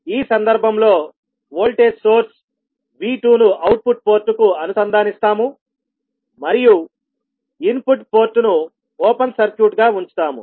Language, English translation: Telugu, In this case will connect a voltage source V2 to the output port and we will keep the input port as open circuit